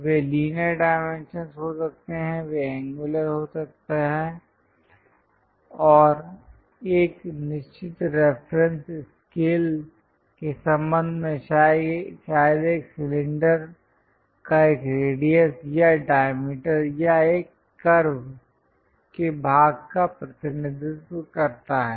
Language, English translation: Hindi, They can be linear dimensions, it can be angular perhaps representing radius or diameter of a cylinder or part of a curve and with respect to certain reference scale